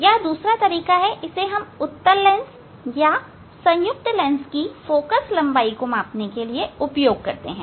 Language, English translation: Hindi, this is another method; we use for measuring the focal length of convex lens or combination of the lens